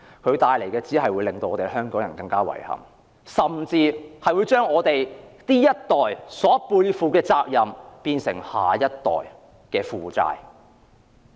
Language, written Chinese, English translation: Cantonese, 這項計劃只會為香港人帶來更多遺憾，甚至將我們這一代背負的責任變成下一代的負債。, Worse still the project will bring more regrets to Hong Kong people and even pass on the burden of this generation to the next